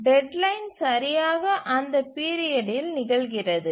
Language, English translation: Tamil, So the deadline occurs exactly at the period